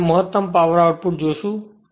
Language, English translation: Gujarati, So, will see this that maximum power output